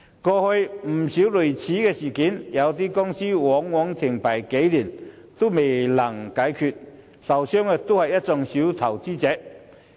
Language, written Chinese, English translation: Cantonese, 過去有不少類似事件，便是公司在停牌數年後仍未能解決問題，受損的都是小投資者。, There were quite a number of similar incidents in the past . The problem remained unresolved even after the companys license had been suspended for a few years leaving the small investors as victims